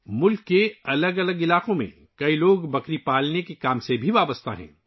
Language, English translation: Urdu, Many people in different areas of the country are also associated with goat rearing